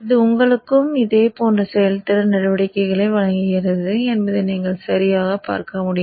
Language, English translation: Tamil, So you would see that it gives you also similar kind of performance measures